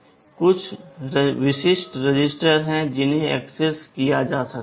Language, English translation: Hindi, There are some specific registers which can be accessed